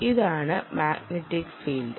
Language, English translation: Malayalam, and this is the magnetic field